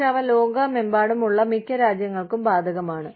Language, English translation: Malayalam, But, they are applicable to, most countries, across the world